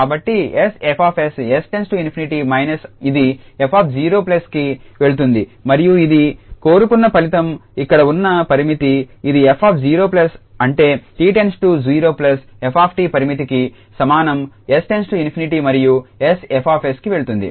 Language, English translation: Telugu, So, s F s as goes to infinity minus this f 0 plus and this is the desired result that the limit here f this is f 0 plus that t goes to 0 plus f t is equal to limit s goes to infinity and s F s